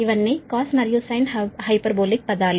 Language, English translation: Telugu, these are all cos and sin hyperbolic terms